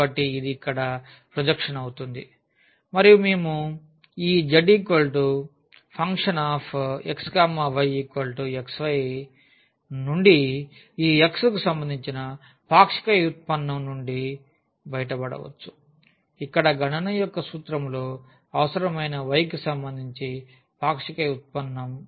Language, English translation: Telugu, So, that will be the projection here and we can get out of this z is equal to x y this partial derivative with respect to x, partial derivative with respect to y which are required in the formula for the computation here